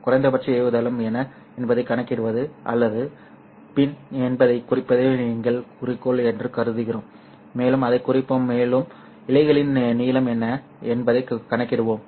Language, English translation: Tamil, What we do is we assume that the goal of us is to either calculate what is the minimum launch power or P in as we will denote that one and also calculate what would be the length of the fiber